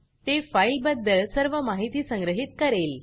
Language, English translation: Marathi, It will store all the information about the file